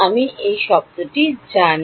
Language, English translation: Bengali, Do I know this term